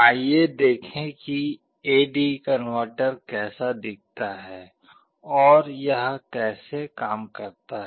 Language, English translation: Hindi, Let us see how flash AD converter looks like and how it works